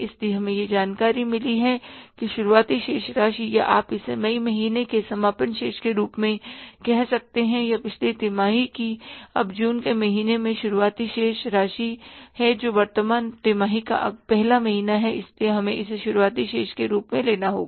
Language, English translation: Hindi, So, we have got this information that the beginning balance or you can call it as closing balance of the month of May is or of the previous quarter is now the opening balance in the month of June which is the first month of the current quarter so we will have to take it as the opening balance